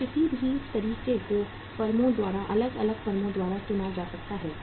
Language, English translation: Hindi, So any of the methods can be can be chosen by the firms, by the different firms